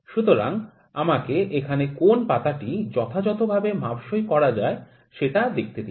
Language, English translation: Bengali, So, let me try to fit which of the leaf is fitting properly here